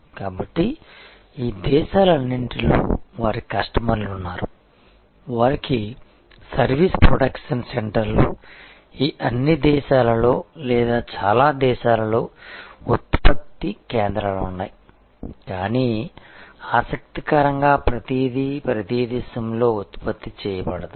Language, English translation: Telugu, So, they have customers in all these countries, they have service production centres, product production centres in all these countries or in most of these countries, but interestingly not everything is produced in every location